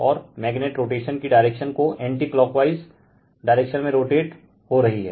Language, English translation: Hindi, And magnet is rotating, it goes direction of the rotation given anti clockwise direction, it is rotating